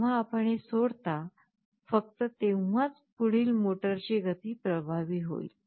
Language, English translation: Marathi, As you release it then only the next motor speed will take effect